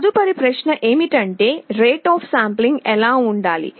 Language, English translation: Telugu, The next question is what should be the rate of sampling